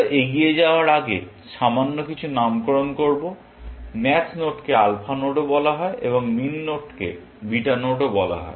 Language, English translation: Bengali, A little bit of nomenclature, before we continue; max nodes are also called alpha nodes, and min nodes are also called beta nodes